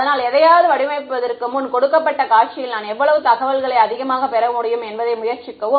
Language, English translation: Tamil, So, before designing something try to maximize how much information I can get in a given scenario